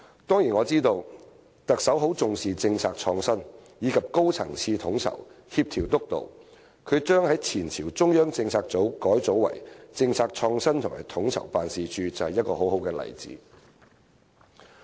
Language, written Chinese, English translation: Cantonese, 當然，我知道特首很重視政策創新，以及高層次的統籌、協調及督導，她將前朝的中央政策組改組為政策創新與統籌辦事處，就是一個很好的例子。, Of course I know that the Chief Executive sets great store by policy innovation as well as high - level planning coordination and supervision . Her decision to revamp the Central Policy Unit of the previous Government into the Policy Innovation and Co - ordination Office is a very good example